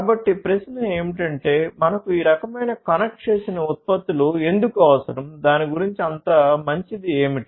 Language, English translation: Telugu, So, the question is that why do we need this kind of connected products, what is so good about it